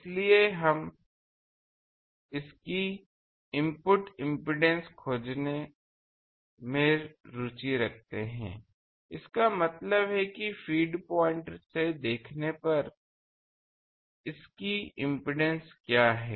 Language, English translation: Hindi, So, we are interested to find it is input impedance; that means, what is the impedance it is seen when at the feed point